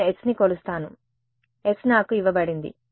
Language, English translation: Telugu, I measure s, s is given to me ok